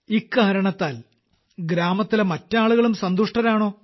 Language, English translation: Malayalam, And the rest of the people of the village are also happy because of this